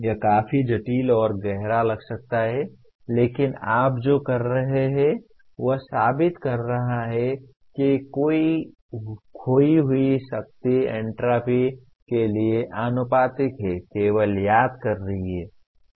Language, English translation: Hindi, It may sound quite complex and profound but what you are doing is proving that lost power is proportional to entropy is only recalling